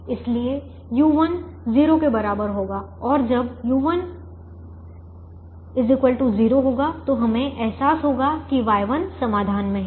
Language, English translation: Hindi, and when u one is equal to zero, we realize y one is in the solution